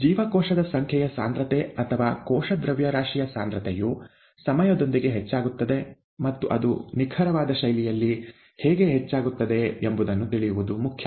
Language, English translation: Kannada, Cell number concentration or cell mass concentration increases with time and to know how it increases in a precise fashion is important